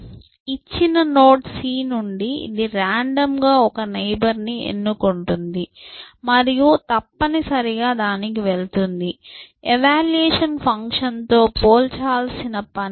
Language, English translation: Telugu, From a given node c, it will just randomly choose one neighbor and go to that essentially, no comparison of evaluation function nothing essentially